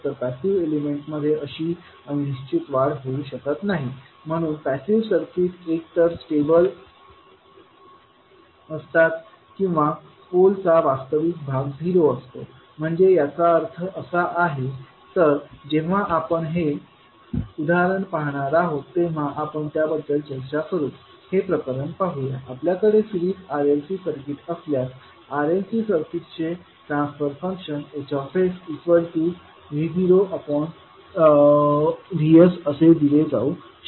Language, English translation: Marathi, So the passive elements cannot generate such indefinite growth so passive circuits either are stable or have poles with zero real parts so what does it mean we will as discuss when we will see this particular example let us see this particular case, if you have a series r l c circuit the transfer function of series r l c circuit can be given as h s is equal to v not by v s